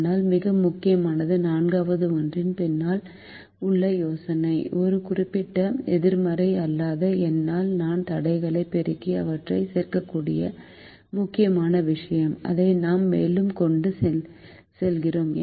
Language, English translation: Tamil, but more importantly, the idea behind the fourth one, where i can multiply the constraints by a certain non negative number and add them, is something that is important and we carry that further